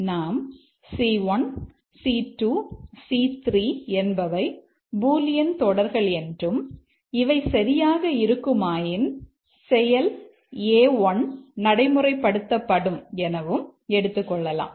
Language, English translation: Tamil, Here let's assume that C1, C2, C3 are bullion expressions and if this is true then A1 is the action